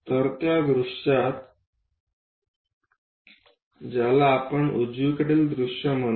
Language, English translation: Marathi, So, that view what we are calling right side view